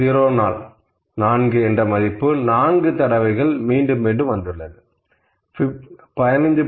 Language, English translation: Tamil, 04 is repeating 4 number of times and 15